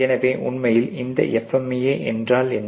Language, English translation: Tamil, So, what really is this FMEA